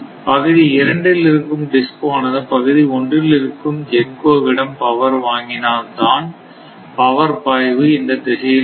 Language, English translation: Tamil, So, demand of DISCOs in area 2 that means, this is your area 2 from GENCO 1, then then only power will flow in this direction